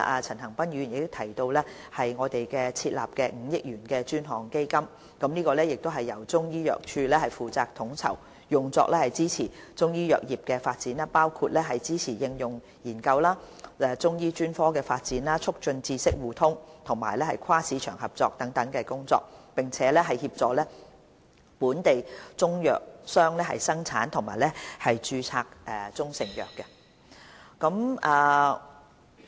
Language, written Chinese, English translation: Cantonese, 陳恒鑌議員提及我們會設立的5億元專項基金，這亦是由中醫藥處負責統籌，用作支持中醫藥業的發展，包括支持應用研究、中醫專科發展、促進知識互通和跨市場合作等工作，並協助本地中藥商的生產及註冊中成藥工作。, The Chinese Medicine Unit will also be responsible for the coordination of a 500 million fund mentioned by Mr CHAN Han - pan to provide support for the development of the Chinese medicine industry including applied research Chinese medicine specialization knowledge exchange and cross - market cooperation and helping local Chinese medicines traders with the production and registration of proprietary Chinese medicines